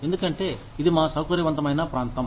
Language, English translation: Telugu, Because, it is our comfort zone